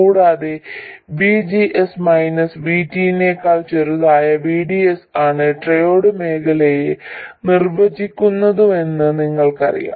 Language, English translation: Malayalam, And we know that the triode region is defined by VDS being smaller than VGS minus VT